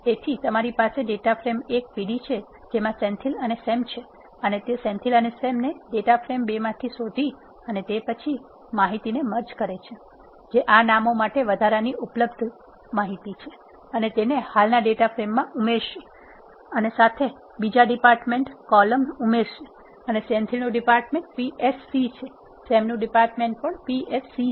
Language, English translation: Gujarati, So, you have data frame 1 p d which contains, Senthil and Sam and it look for, Senthil and Sam in the data frame 2 and then merges the information, that is available extra for these names and add it to the existing data frame, with another column department and the department of Senthil is PSC, in the department of Sam is also PSC, it will rehold the p d and then add the corresponding piece of information, that is coming from the data frame 2